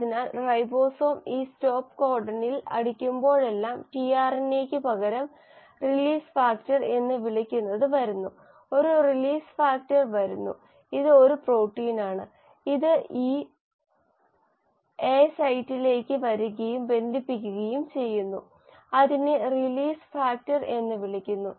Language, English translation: Malayalam, So instead of a tRNA whenever the ribosome hits this stop codon, what is called as a “release factor” comes, a release factor, it is a protein which comes and binds to this A site, it is called as the release factor